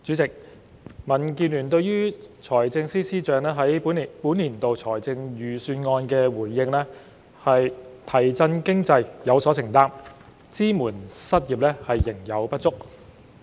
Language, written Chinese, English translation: Cantonese, 主席，民建聯對於財政司司長在本年度財政預算案的回應是"提振經濟，有所承擔，支援失業，仍有不足"。, President DABs response to the Budget delivered by the Financial Secretary FS this year is It is committed to stimulating the economy but deficient in unemployment support